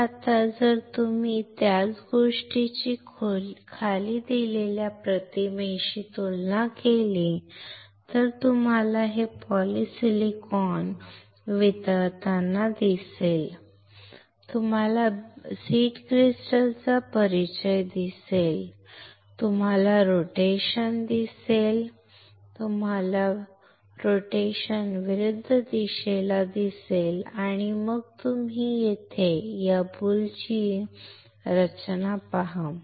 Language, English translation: Marathi, So, now, if you compare the same thing with the images which are below, you see this melting of polysilicon, you see there is an introduction of seed crystal, you see the rotation, you see the rotation is in opposite direction and then you see here formation of this boule right